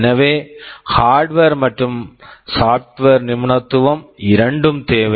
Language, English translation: Tamil, So, there are hardware experts, there are software experts